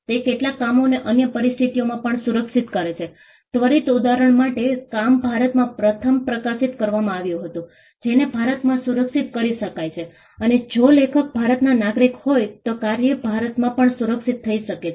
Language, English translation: Gujarati, It also protects certain works in other conditions for instant example the work was first published in India, can be protected in India and if the author is a citizen of India the work can be protected in India as well